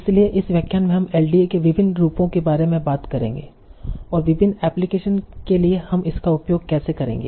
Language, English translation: Hindi, So in this lecture in the next we'll be talking about different variants of LDA and how do you use that for different applications